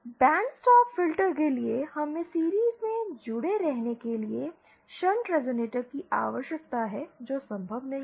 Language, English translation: Hindi, For a band stop filter, we need shunt resonators to be connected in series which is not possible